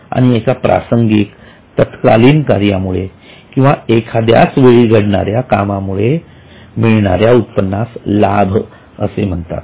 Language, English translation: Marathi, And income which occurs because of an occasional activity, because of a one time activity is called as a gain